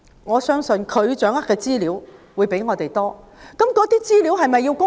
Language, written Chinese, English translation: Cantonese, 我相信政府掌握的資料較我們多，但那些資料是否必須公開？, I believe the Government has more information than we do but must such information be made public?